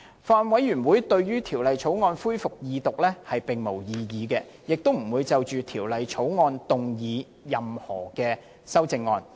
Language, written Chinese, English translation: Cantonese, 法案委員會對於《條例草案》恢復二讀辯論並無異議，亦不會就《條例草案》動議任何修正案。, The Bills Committee raises no objection to the resumption of the Second Reading debate on the Bill and will not propose any amendments to the Bill